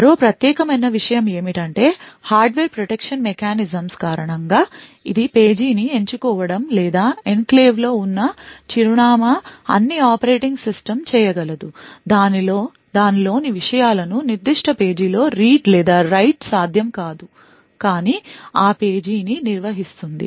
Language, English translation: Telugu, Now the unique thing about this is that due to the hardware protection mechanisms this is just choosing the page or the address where the enclave is present is about all the operating system can do it will not be able to read or write to the contents within that particular page but rather just manage that page